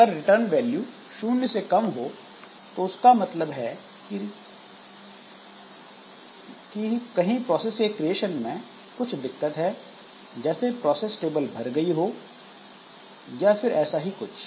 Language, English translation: Hindi, If the return value is less than zero, that means there was some problem with creation of the new process, maybe the process stable is full or something like that